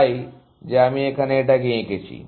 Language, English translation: Bengali, So, that is what I have drawn here